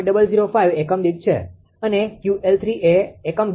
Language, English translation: Gujarati, 006 per unit and Q L 4 is equal to 0